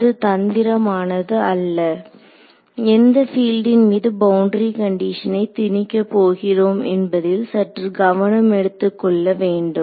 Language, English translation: Tamil, So, it is not tricky just taking care of on which field I am imposing the boundary condition itself